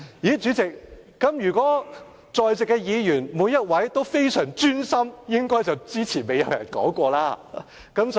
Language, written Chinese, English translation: Cantonese, 代理主席，如果我說在座每一位議員均非常專心，這個論點之前應該沒有人提過了，對嗎？, Deputy President if I say that every Member in the Chamber is extremely attentive then it is a point that is not mentioned by others . Am I right?